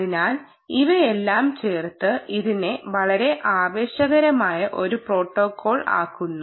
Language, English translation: Malayalam, so all of this put together makes it a very exciting protocol